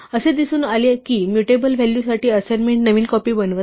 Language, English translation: Marathi, It turns out that for mutable values assignment does not make a fresh copy